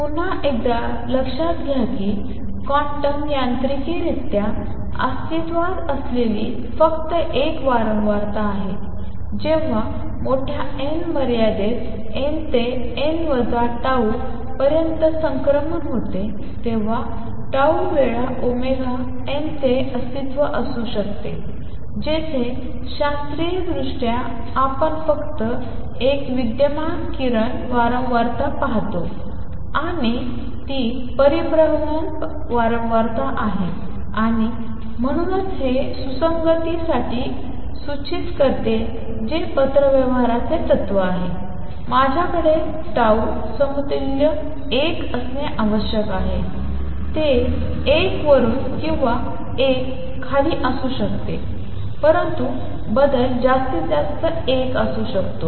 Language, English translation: Marathi, Notice again that there is only one frequency that exists quantum mechanically, when the transition takes place from n to n minus tau in the large n limit, the frequency that can exist of tau times omega n, where as classically we see only one radiation frequency existing and that is the frequency of revolution and therefore this implies for consistency which correspondence principle, I should have tau equals 1, it can be either from one up or one down, but the change can be maximum one